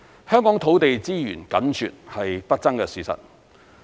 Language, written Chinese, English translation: Cantonese, 香港土地資源緊絀，是不爭的事實。, Shortage of land resources in Hong Kong is an indisputable fact